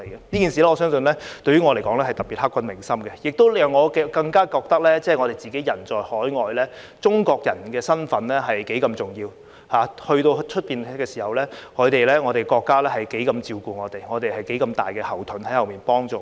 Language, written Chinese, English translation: Cantonese, 這件事我相信對於我來說是特別刻骨銘心的，亦讓我更加覺得我們人在海外時，中國人的身份多重要；到了外地時，我們的國家有多照顧我們，我們有多大的後盾在後面幫助我們。, This incident is particularly memorable to me and it makes me realize how important our identity as Chinese is when we are overseas how much our country takes care of us when we are abroad and how much backing there is to help us out